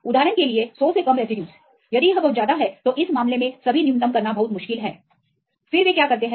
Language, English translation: Hindi, For example less that 100 residues, if it is very high proteins because it is very difficult to do all the minimization in this case what they do